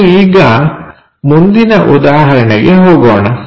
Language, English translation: Kannada, Let us move on to the next example